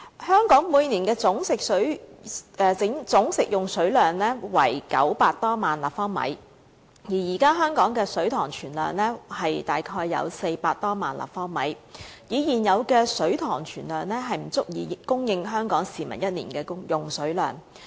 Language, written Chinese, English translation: Cantonese, 香港每年的總食水用量為900多萬立方米，而現時香港的水塘存水量約為400多萬立方米，以現有的水塘存量，根本不足以供應香港市民一年用水所需。, The annual total fresh water consumption of Hong Kong is over 9 million cu m while the existing storage capacity of the reservoirs in Hong Kong is about 4 million cu m The existing storage capacity of our reservoirs basically cannot meet the annual water consumption need of the Hong Kong people